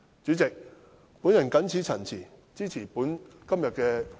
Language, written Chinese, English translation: Cantonese, 主席，我謹此陳辭，支持今天這項議案。, With these remarks President I support this motion today